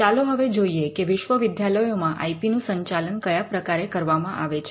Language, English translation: Gujarati, Let us look at how IP is managed in Universities